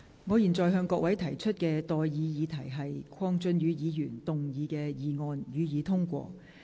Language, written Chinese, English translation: Cantonese, 我現在向各位提出的待議議題是：鄺俊宇議員動議的議案，予以通過。, I now propose the question to you and that is That the motion moved by Mr KWONG Chun - yu be passed